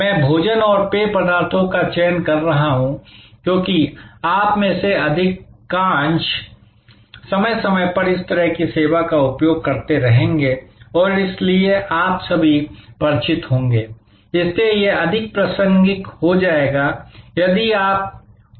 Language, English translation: Hindi, I am choosing food and beverage, because most of you will be using such service time to time and so you will all be familiar, so it will become more relevant; if you apply your mind to it